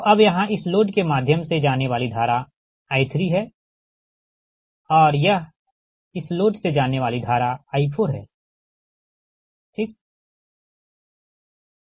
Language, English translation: Hindi, so here that current is going through this load is i three and this is going to, ah, i four is going to the load four, right